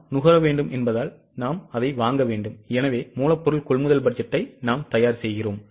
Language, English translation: Tamil, Because we need to consume, we need to buy, so we prepare raw material purchase budget